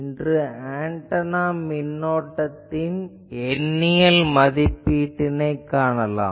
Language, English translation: Tamil, Today, we will see the Numerical Evaluation of Antenna Currents